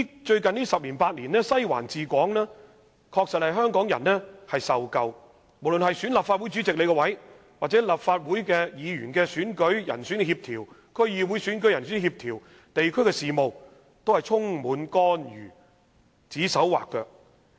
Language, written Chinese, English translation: Cantonese, 最近十年八年，香港人確實飽受"西環治港"，無論是選舉立法會主席，還是立法會選舉和區議會選舉的人選協調，或地區事務等，西環均插手干預。, Over the past decade or so Hong Kong people have been battered by Western District ruling Hong Kong . Western District has interfered in everything be it the election of the Legislative Council President the coordination of candidacy in the Legislative Council Elections or District Councils Elections or community affairs and so on